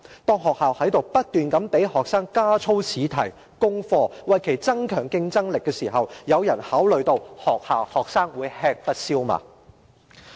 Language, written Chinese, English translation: Cantonese, 當學校不斷給學生加操試題、功課，為其增強競爭力時，有人考慮到學生會否吃不消嗎？, When schools keep feeding students with drilling tests and homework to enhance their competitive edges have anyone ever consider if students will be overloaded?